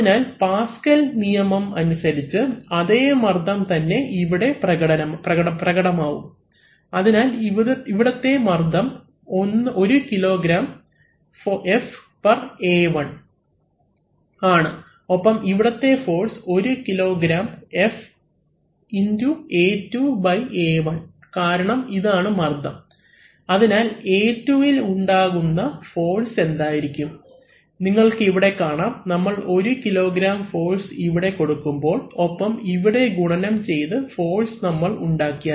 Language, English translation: Malayalam, So, by Pascal's law, now this same pressure is going to get transmitted and we will act on this area, so the pressure on this is also 1kg F/A1 and the force on this is 1 kg F x A2/ A1 because this is the pressure, so what is the force it creates on this body into A2, so you see that we apply 1 kg force here and we have created a force which is multiplied